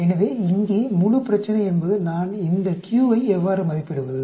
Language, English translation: Tamil, So the whole problem here is; How do I estimate this q